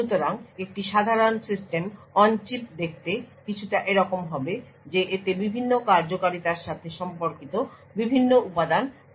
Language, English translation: Bengali, So, a typical System on Chip would look like something like this it could have various components corresponding to the different functionality